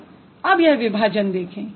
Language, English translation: Hindi, So, look at the division now